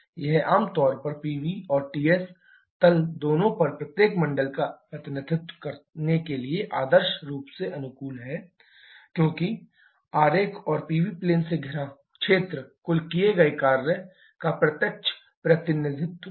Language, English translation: Hindi, It is generally ideally suited to represent each of circles on both Pv and Ts plane because area enclosed by the diagram and the Pv plane is a direct representation of the total work done